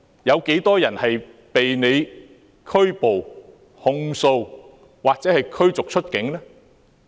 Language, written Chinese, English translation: Cantonese, 有多少人被拘捕、控訴或驅逐出境呢？, How many of them have been arrested charged or expelled from the territory?